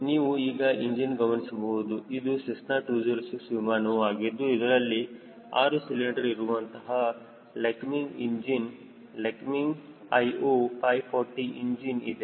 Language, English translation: Kannada, now this aircraft, cessna two zero six, has got a six cylinder lycoming engine, lycoming io five forty engine